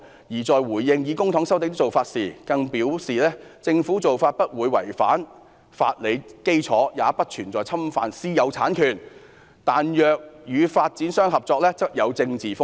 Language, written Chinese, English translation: Cantonese, "她在回應以公帑收地的做法時更表示："政府做法不會違反法理基礎，也不存在侵犯私有產權，但若與發展商合作則有政治風險。, In respect of the practice of using public money to resume land she further said the practice of the Government will neither contradict any legal basis nor violate private ownership while cooperation with developers will run political risks